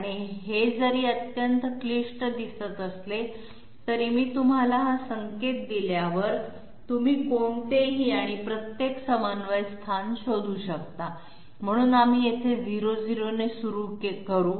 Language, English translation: Marathi, And this one though it looks formidably complex, once I give you this hint you will say oh give me those radii of those circles and I can find out any and every coordinate location, so we will start with 00 here